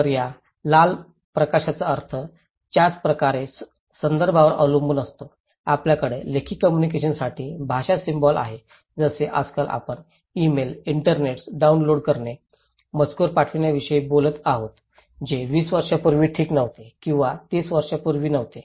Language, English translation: Marathi, So, the meaning of this red light depends on the context similarly, we have language symbol used for written communications okay like nowadays, we are talking about emails, internets, downloading, texting which was not there just maybe 20 years before okay or maybe 30 years before so, which is very new to us